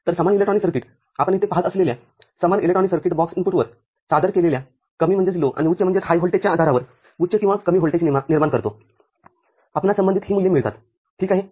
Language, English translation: Marathi, So, same electronic circuits same electronic circuit the box that you see here which generates a high or low voltage depending on the low and high voltage presented at the input, we get the corresponding these values ok